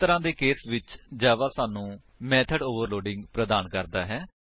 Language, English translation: Punjabi, So, in such cases java provides us with method overloading